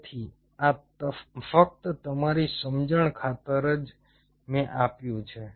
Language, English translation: Gujarati, so this is just for your understanding sake